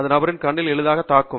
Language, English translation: Tamil, It could easily strike the personÕs eye